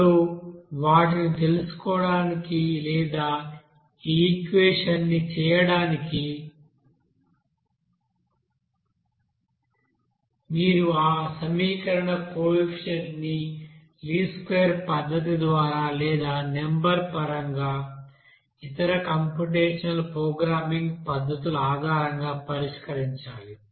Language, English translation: Telugu, Now to find out those you know or make that equations you need to solve that equation coefficient either by least square method or numerically based on other you know computational programming method